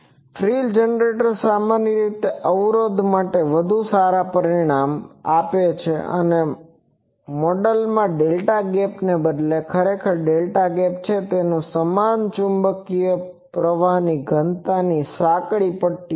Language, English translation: Gujarati, The frill generator usually gives better results particularly for impedances and actually the delta gap instead of delta gap in this model the, is narrow strips of equivalent magnetic current density ok